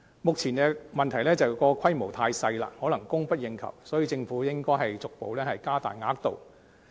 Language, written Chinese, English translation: Cantonese, 目前的問題是規模太小，可能供不應求，所以政府應逐步加大額度。, The problem at present is that its limited scale may be unable to meet peoples demand . So the Government should gradually expand its scale